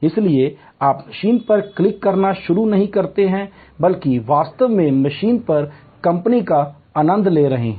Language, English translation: Hindi, So, that you do not start clicking the machine you rather actually enjoying the company on the machine